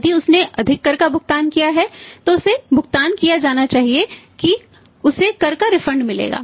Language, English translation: Hindi, If he has paid more tax then the say he is supposed to pay that he will get the refund of the tax